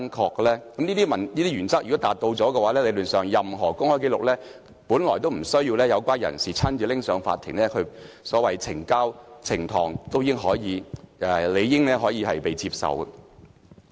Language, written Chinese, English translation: Cantonese, 如果能夠符合這些原則，理論上，任何公開紀錄本來無須有關人士親自提交法庭，所謂呈交或呈堂也理應可以被接受。, In theory any public record that meets these principles are by nature not required to be submitted to the Court by the party concerned in person and it should be acceptable for it to be tendered or produced in court